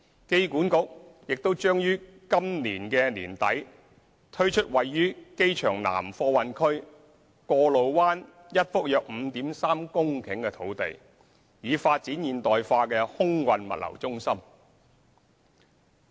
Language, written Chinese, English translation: Cantonese, 機管局亦將於今年年底推出位於機場南貨運區過路灣一幅約 5.3 公頃的土地，以發展現代化空運物流中心。, A site of around 5.3 hectares at the Kwo Lo Wan at South Cargo Precinct will also be made available at the end of this year for AA to develop into a modern air cargo logistics centre